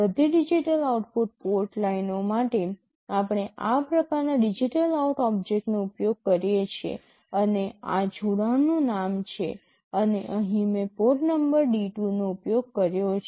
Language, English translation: Gujarati, For all digital output port lines, we use this object of type DigitalOut, and led is the name of this connection, and here I have used port number D2